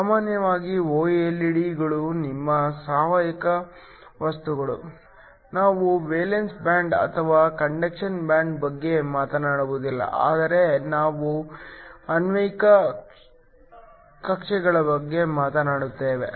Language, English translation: Kannada, Usually OLED’s because your organic materials, we do not talk about valence band or a conduction band, but we talk about molecular orbitals